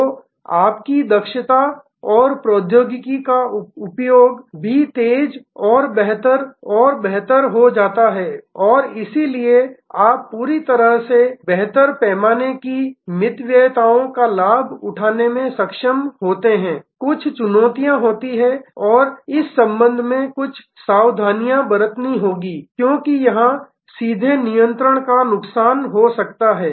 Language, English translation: Hindi, So, your efficiency and technology usage also gets intensified and better and better and so you are able to leverage on the whole a better economy of scale, there are some caveat and there are some cautions here with respect to that there will be a loss of direct control